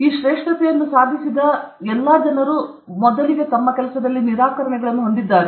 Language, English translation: Kannada, All people who have achieved this greatness also, those people also have rejections